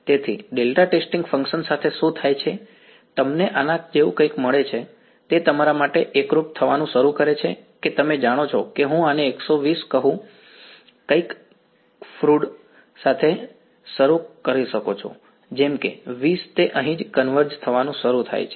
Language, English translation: Gujarati, So, with delta testing functions what happens is, you get something like this, it begins to converge for you know that I am this is say 120 you can start with something as crude let say 20 right it begins to converge over here right